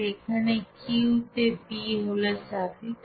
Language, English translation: Bengali, Here Q p is in suffix